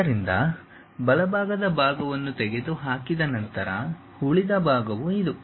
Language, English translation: Kannada, So, after removing the right side part, the left over part is this one